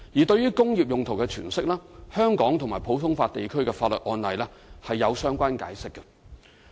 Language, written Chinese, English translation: Cantonese, 對於"工業用途"的詮釋，香港及普通法地區法律案例是有相關解釋的。, There are court cases in Hong Kong and other common law jurisdictions explaining the interpretation of industrial uses